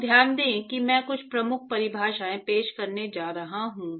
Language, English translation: Hindi, So note that I am going to introduce some key definitions